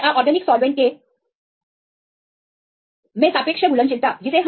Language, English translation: Hindi, So, relative solubility of either the water plus organic solvents